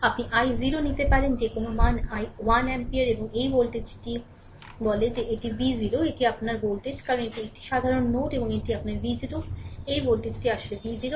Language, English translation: Bengali, You can take i 0 any values say 1 ampere right, 1 ampere and this voltage this voltage say it is V 0 V 0 means this is the voltage your V 0 right, this is the voltage your V 0 right, because this is a common node and this is your V 0; so, this voltage actually V 0